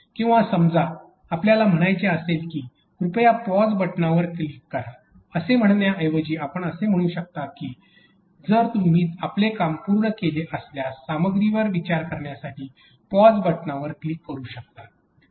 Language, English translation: Marathi, Or, suppose you want to give you say like please click the pause button, instead of using this statement we could is the say if you are done you might want to click the pause button to be able to, to think on the content